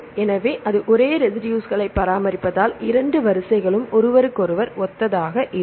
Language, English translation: Tamil, So because that maintains the same residue so the two sequences are similar to each other